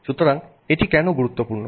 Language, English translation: Bengali, So, why is this important